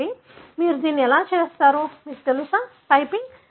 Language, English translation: Telugu, So, how do you do that, you know, typing